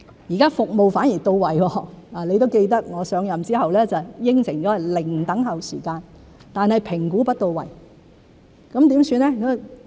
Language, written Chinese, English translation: Cantonese, 現在服務反而到位——你也記得我上任後答應過是"零等候"時間——但評估不到位，怎麼辦呢？, Now that services can be provided as appropriate―you should remember that I have undertaken after assuming office that there would be zero waiting time―but assessment cannot be conducted in a timely manner what should we do then?